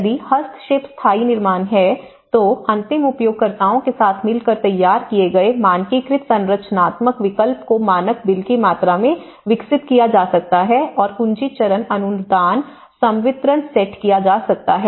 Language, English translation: Hindi, If the intervention is permanent construction, then the standardized structural options designed in collaboration with end users can be developed into standard bill of quantities and set key stage grant disbursements